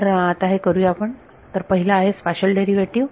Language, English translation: Marathi, So, let us do that; so, first is the spatial derivative